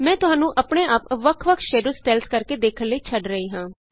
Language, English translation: Punjabi, I will leave you to explore the various Shadow styles, on your own